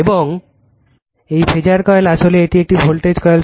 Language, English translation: Bengali, And this phasor coil actually it is a voltage coil